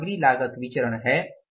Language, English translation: Hindi, That is the material cost variance